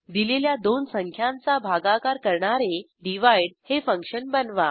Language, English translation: Marathi, And Create a function divide which divides two given numbers